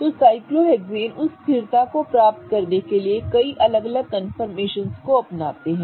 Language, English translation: Hindi, So, cyclohexanes do adopt a lot of different confirmations in order to achieve that stability